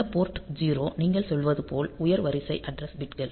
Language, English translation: Tamil, So, as you are telling that this port 0; the higher order address bits